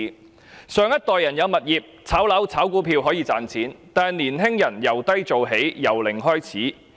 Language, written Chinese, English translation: Cantonese, 我們的上一代擁有物業，可以靠"炒樓"和"炒股票"賺錢，但青年人要由低做起、由零開始。, While our previous generation owned properties and could make money from speculating on properties and stocks young people have to start from scratch by taking up junior positions